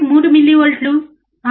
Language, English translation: Telugu, 1 millivolts 6